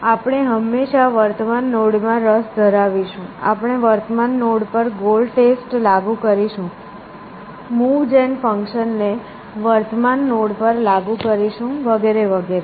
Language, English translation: Gujarati, So, we will always be interested in the current node, we will apply the goal test to current node, will apply the move gen function to current node and so on essentially